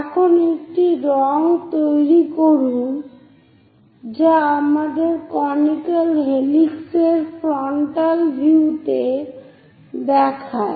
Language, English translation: Bengali, Now make a color, so our conical helix looks in that way on the frontal view